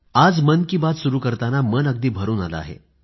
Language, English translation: Marathi, I begin 'Mann Ki Baat' today with a heavy heart